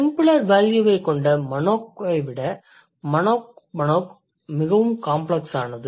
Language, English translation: Tamil, Manuk Manuk, it is more complex than Manuk which has a simpler value